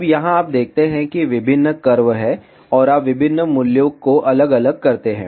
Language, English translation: Hindi, Now, here you see various curves are there, and you very different values is these curves are corresponding to those values